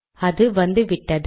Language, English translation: Tamil, It has come now